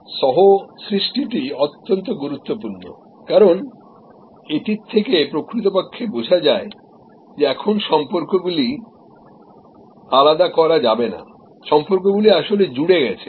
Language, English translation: Bengali, The co creation is very important, because it actually understands that now the relationships cannot be segregated, the relationships are actually quit connected